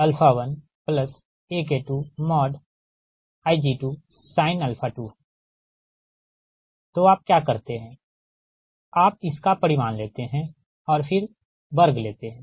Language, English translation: Hindi, you take the magnitude of this and then square it